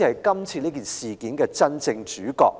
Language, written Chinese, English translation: Cantonese, 他才是這次事件的真正主角。, He was rather the real protagonist in this incident